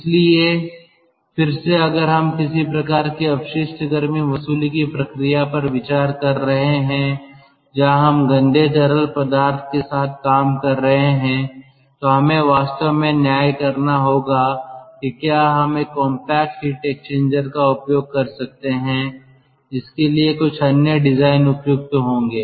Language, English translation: Hindi, so again, if we are considering some sort of waste heat ah recovery action where we are handling with dirty fluid, dirty affluent, then we have to really judge whether we can use a compact heat exchanger or some such ah